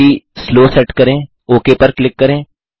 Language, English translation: Hindi, Set the speed to Slow Click OK